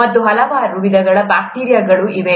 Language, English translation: Kannada, And, there are so many different types/ kinds of bacteria